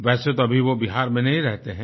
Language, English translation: Hindi, In fact, he no longer stays in Bihar